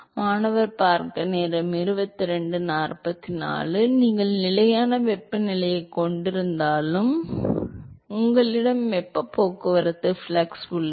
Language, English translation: Tamil, Because even if you have constant temperature, the you have a flux of heat transport, right